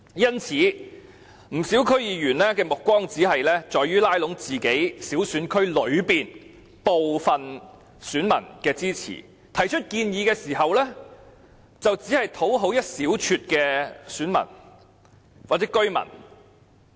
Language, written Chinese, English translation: Cantonese, 因此，不少區議員的目光只放在拉攏選區內小部分選民的支持，他們提出建議時，只為討好一小撮的選民或居民。, Therefore quite a number of DC members focus merely on canvassing support from a handful of electors in their districts . They merely seek to please a small number of electors or residents when they put forward proposals